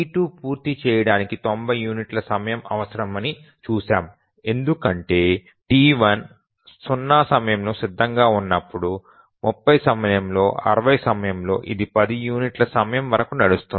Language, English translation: Telugu, Then for T2 to complete execution, we can draw the schedule here and see that T2 needs 90 units of time to complete because whenever T1 becomes ready during 0, during 30, during 60, it will run for 10 units of time